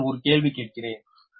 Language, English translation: Tamil, now i have a question to you